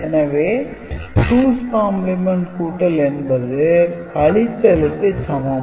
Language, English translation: Tamil, And then we do 2s complement addition, we will get the subtraction